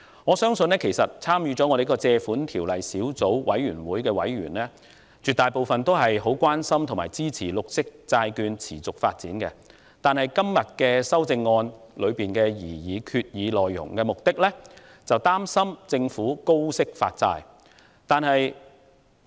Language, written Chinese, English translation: Cantonese, 我相信，絕大部分根據《借款條例》第31條提出的擬議決議案小組委員會也很關心和支持綠色債券的持續發展，但議員今天提出修訂議案，是因為擔心政府會高息發債。, I believe that the majority of members of the Subcommittee on Proposed Resolution under Section 31 of the Loans Ordinance Cap . 61 were very concerned about and did support the sustainable development of the green bond market . However some Members proposed amendments today out of concern that the Government will issue bonds at high interest rates